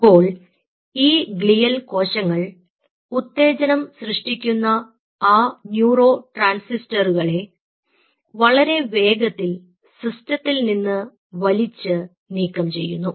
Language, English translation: Malayalam, so these glial cells pulls away those excitatory neurotransmitters from the system very fast